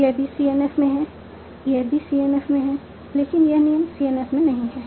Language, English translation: Hindi, Similarly here, this is in CNF, this is in CNF